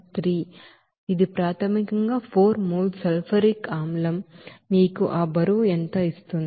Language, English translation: Telugu, 3, this is basically that 4 moles of sulfuric acid how much it will give you that weight